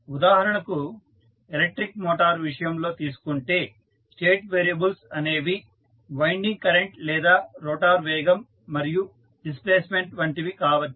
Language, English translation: Telugu, Say for example in case of electric motor, state variables can be like winding current or rotor velocity and displacement